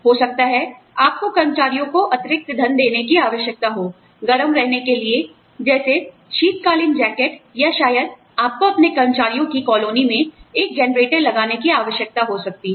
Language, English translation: Hindi, Maybe, you need to give the employees extra money, to stay warm for, you know, winter jackets or, maybe, you know, you may need to put a generator, in your employees